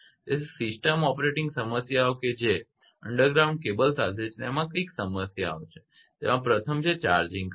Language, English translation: Gujarati, So, system operating problems with underground cables what are the problems the first is the charging current